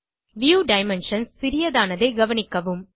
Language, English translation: Tamil, Notice that the view dimensions have become smaller